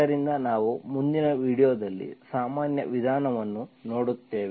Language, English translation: Kannada, So we will see the general method in the next video